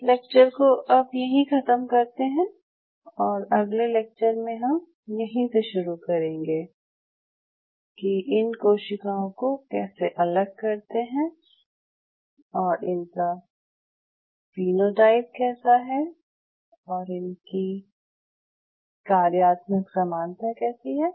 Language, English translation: Hindi, So, I will close in here in the next class we will follow it up from here that how to isolate these cells and what are the phenotypes we see and what are the functional analogues of it